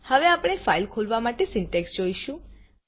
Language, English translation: Gujarati, Now we will see the syntax to open a file